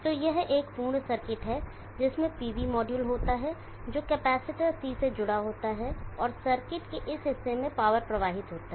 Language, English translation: Hindi, So this is a complete circuit which contain the PV module which is connected to capacitor C, and the power flows into this portion of the circuit